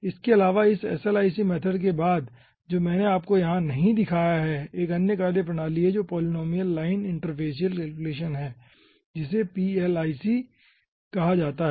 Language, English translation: Hindi, okay, apart from that, ah, after this slic method which i have not shown you over here, there is another methodology called ah, polynomial line interfacial calculation, which is called plic